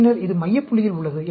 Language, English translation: Tamil, And then, this is at the center point